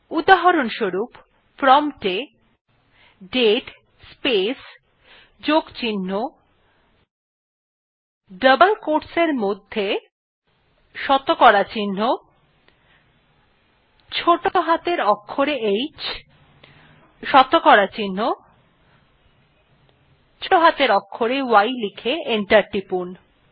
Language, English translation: Bengali, For example type at the prompt date space plus within double quotes percentage small h percentage small y and press enter